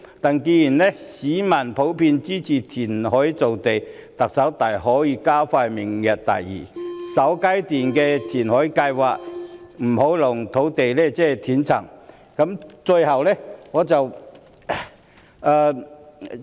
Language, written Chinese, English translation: Cantonese, 不過，既然市民普遍支持填海造地，特首大可以加快推行明日大嶼的首階段填海計劃，以免土地供應出現斷層。, However given that creating land through reclamation is generally supported by the public the Chief Executive may step up the implementation of the first phase reclamation works under Lantau Tomorrow to avoid a disruption in land supply